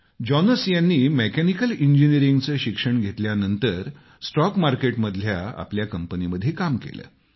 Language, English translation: Marathi, Jonas, after studying Mechanical Engineering worked in his stock market company